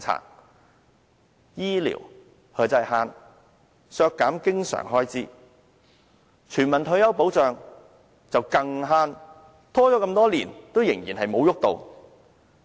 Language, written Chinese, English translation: Cantonese, 對醫療，"慳"、削減經常開支；對全民退休保障，更"慳"，拖延多年仍然沒有落實。, He cuts the recurrent expenditure . He is even more frugal towards universal retirement protection . He keeps dragging that for years and prevents it from implementing